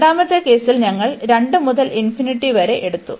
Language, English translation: Malayalam, And in the second case, then we have taken from 2 to infinity